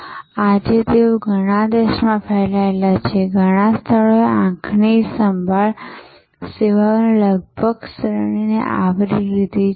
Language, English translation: Gujarati, And today they are spread over many countries, over many locations covering almost the entire range of eye care services